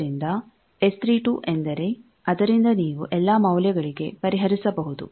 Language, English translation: Kannada, So, S 32 is the by that you can solve for all the values